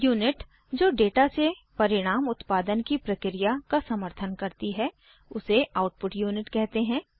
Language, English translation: Hindi, The unit that supports the process of producing results from the data, is the output unit